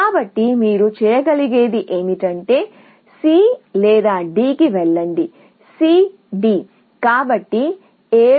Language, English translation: Telugu, So, the only thing you can do is, go to C or to D; C D